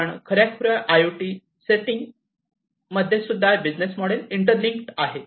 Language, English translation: Marathi, But, in a real kind of IIoT setting, these business models are interlinked